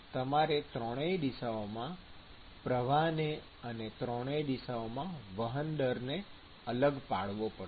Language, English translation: Gujarati, So, therefore you have to distinguish the fluxes in all three directions and the transfer rate in all three directions